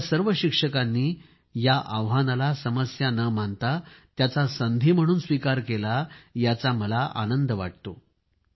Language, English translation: Marathi, I am happy that not only have our teachers accepted this challenge but also turned it into an opportunity